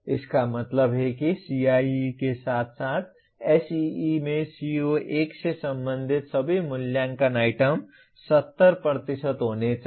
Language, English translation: Hindi, That means all the assessment items I have related to CO1 in CIE as well as in SEE the marks percentage should be 70